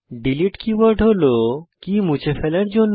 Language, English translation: Bengali, delete keyword is used to delete the key